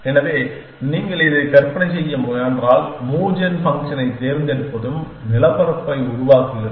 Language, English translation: Tamil, So, if you can try imagine this that choosing move gen function is also devising the landscape